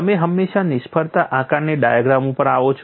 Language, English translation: Gujarati, Now you are equipped with failure assessment diagram